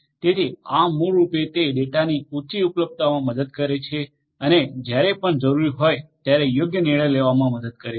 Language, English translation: Gujarati, So, this is basically will have to will also help the higher availability of the data will also help in enable proper decision making whenever it is required